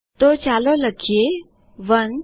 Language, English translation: Gujarati, So we will type 1